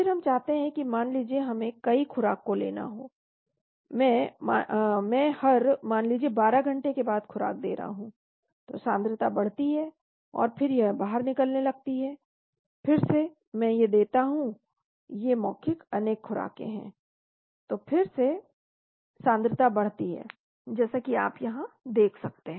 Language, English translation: Hindi, Then we want to suppose we have multiple doses , I am giving doses after every say 12 hours, so concentration goes up and then it starts getting eliminated, again I give these are oral multiple dose, again the concentration goes up as you can see here